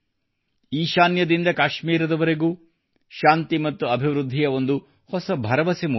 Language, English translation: Kannada, A new confidence of peace and development has arisen from the northeast to Kashmir